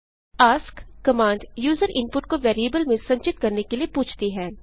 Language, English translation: Hindi, ask command asks for user input to be stored in variables